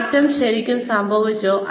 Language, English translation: Malayalam, Did the change really occur